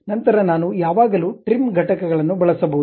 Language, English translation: Kannada, Then I can always use trim entities object